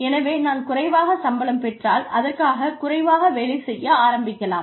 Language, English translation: Tamil, So, if I get paid more, then I may decide, to start working less